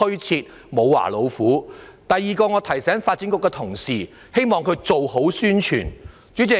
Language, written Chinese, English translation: Cantonese, 此外，我也要提醒發展局的同事做好宣傳工作。, Besides I would also like to remind colleagues in the Development Bureau to handle the publicity work properly